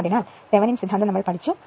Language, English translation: Malayalam, So, thevenins theorem we have studied